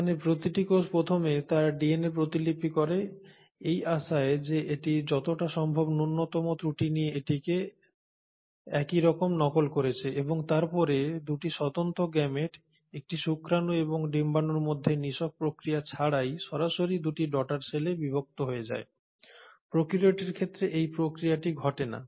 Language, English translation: Bengali, Here each cell will first duplicate its DNA in the hope that it is duplicating it exactly with as many minimal errors as possible and then divide into 2 daughter cells directly without undergoing the process of cell fusion between 2 independent gametes a sperm and an egg, that process does not happen in case of prokaryotes